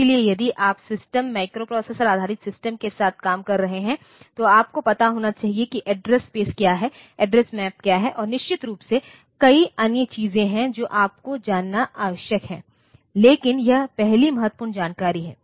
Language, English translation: Hindi, So, if you are working with the system microprocessor based system, you should know what is the address space, what is the address map and of course, there are many other things that you need to know, but this is the first vital information